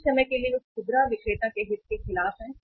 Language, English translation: Hindi, Sometime they are against the interest of retailer